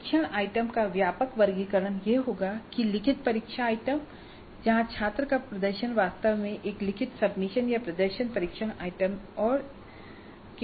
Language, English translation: Hindi, The broad casick classification of the test items would be that there are written test items where the performance of the student is actually in the form of a written submission or performance test items